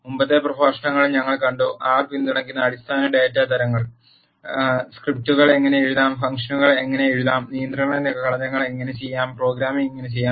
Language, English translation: Malayalam, In the previous lectures, we have seen; what are the basic data types that are supported by R, how to write scripts, how to write functions and how to do control structures, how to do programming and so on